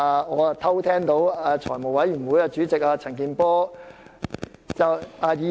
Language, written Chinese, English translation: Cantonese, 我又偷聽到財務委員會主席陳健波議員說......, I also overheard Mr CHAN Kin - por Chairman of the Finance Committee saying that